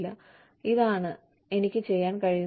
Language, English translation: Malayalam, We are saying, this is what, I can do